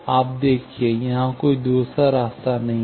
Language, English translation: Hindi, You see, there are no other paths here